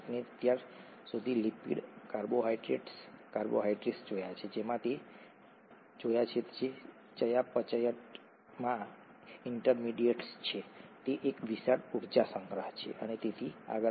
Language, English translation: Gujarati, We have so far seen lipids, carbohydrates, carbohydrates as you know are intermediates in metabolism, they are a large energy stores and so on so forth